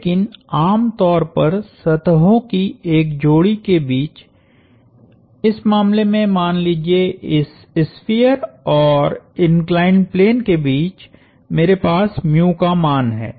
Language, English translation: Hindi, But, typically between a pair of surfaces, let’s say in this case this sphere in the inclined plane; I have a value of mu